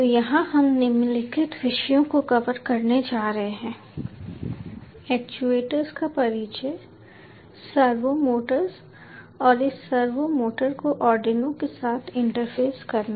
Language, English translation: Hindi, so here we are going to cover the following topics: introduction to actuators, ah servo motors and interfacing of this servo motor with arduino